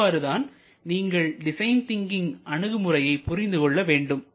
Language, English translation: Tamil, So, that is how you would like to interpret the design thinking purpose